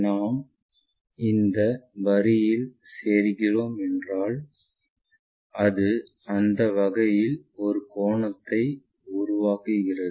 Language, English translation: Tamil, So, if we are joining this line, it makes an angle in that way